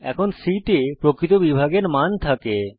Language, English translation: Bengali, c now holds the value of real division